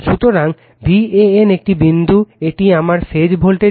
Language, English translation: Bengali, So, V an is this point, this is my phase voltage